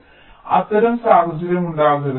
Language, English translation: Malayalam, ok, so such scenario should not occur